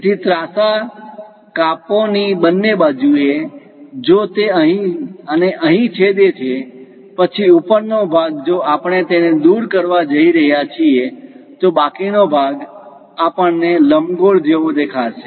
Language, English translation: Gujarati, So, on both sides of the slant, if it is going to intersect here and here; then the top portion if we are going to remove it, the remaining leftover portion we see it like an ellipse